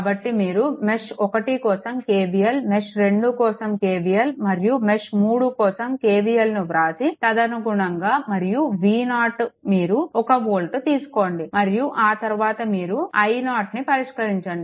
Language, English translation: Telugu, So, you write down K V L for mesh 1 K V L for mesh 2 and K V L for mesh 3 and accordingly and V 0 is equal to you take 1 volt and after that, you will solve for i 0 right